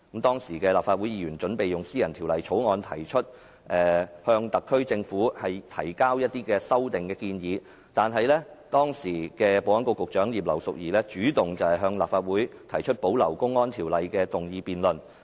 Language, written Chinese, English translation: Cantonese, 當時的立法會議員準備以私人法案向特區政府提交修正案，但時任保安局局長葉劉淑儀主動向立法會提出保留《公安條例》的議案辯論。, At that time Legislative Council Members were about to submit amendments to the Government by means of a private bill . However the then Secretary for Security Regina IP took the initiative to propose a motion debate on preserving the provisions of the Public Order Ordinance